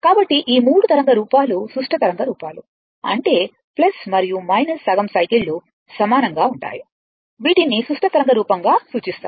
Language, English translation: Telugu, So, this is say this 3, this 3 wave form are symmetrical wave form; that means, that plus and minus half cycles are identical are referred to as the symmetrical wave form right